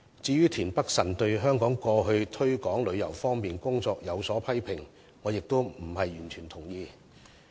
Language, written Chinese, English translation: Cantonese, 至於田北辰議員對過去香港在推廣旅遊方面的工作所作的批評，我亦並非完全同意。, As for Mr Michael TIENs criticism over the efforts made by the Government in promoting tourism I do not totally agree with him